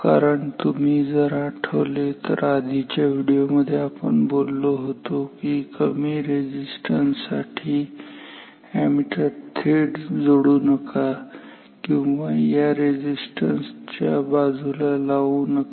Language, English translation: Marathi, Because if you recall in our previous video we talked about that for low resistances do not connect them we should not connect the ammeter directly across these or directly besides this resister